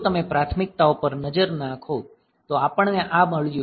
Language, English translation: Gujarati, If you look into the priorities, we have got